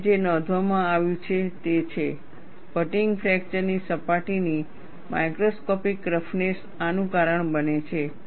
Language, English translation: Gujarati, And what is reported is, microscopic roughness of the fatigue fracture surface causes this